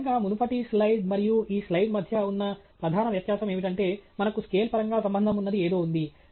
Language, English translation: Telugu, And, really, the major difference between the previous slide and this slide is that we have something that we can relate to in terms of scale